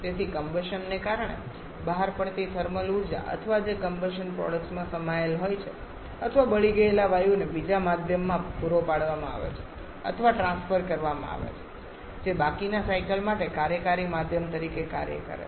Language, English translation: Gujarati, So, the thermal energy released because of combustion or which is contained in the combustion products or burnt gaseous that is supplied or transferred to a second medium which acts as the working medium for the rest of the cycle